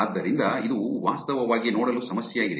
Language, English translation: Kannada, So, that's the problem to actually look at